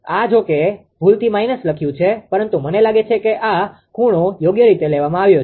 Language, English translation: Gujarati, This, although this is a by mistake it is written minus but I think this angle is taken correctly right